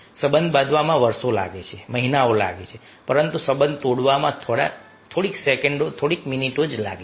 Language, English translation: Gujarati, it takes year, it takes months to build relationship, but it will take just few seconds, few minutes, to break the relationship